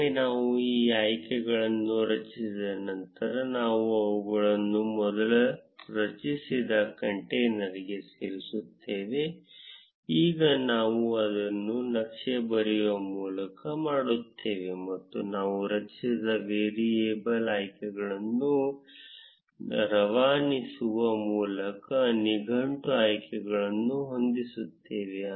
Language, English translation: Kannada, Once we have created these options, we will add them to the container that we created before, now I do it by writing chart and set the dictionary options by passing the variables options that we just created